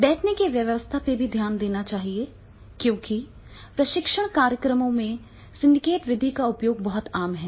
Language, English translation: Hindi, Many times the sitting arrangements that is also to be seen because in the training program the use of syndicate method is very very common